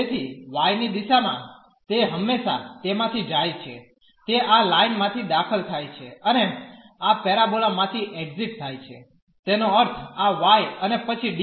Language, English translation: Gujarati, So, in the direction of y it always goes from it enters through this line and exit through this parabola so; that means, this y and then dx